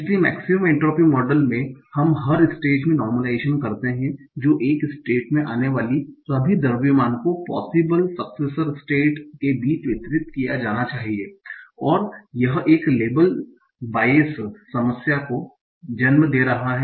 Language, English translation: Hindi, So in maximum entry model we do a per state normalization that is all the mass that arrives at a state must be distributed among the possible successor states and this is giving rise to a label bias problem